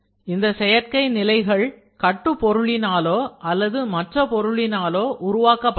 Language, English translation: Tamil, Synthetic support can be made from build material or from a secondary material